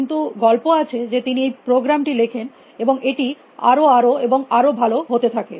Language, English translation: Bengali, But, story goes that he wrote this program the program became better and better and better